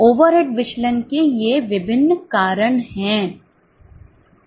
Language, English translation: Hindi, These are various reasons for over variances